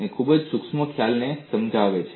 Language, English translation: Gujarati, It is illustrating a very subtle concept